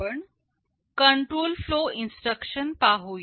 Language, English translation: Marathi, Let us look at the control flow instructions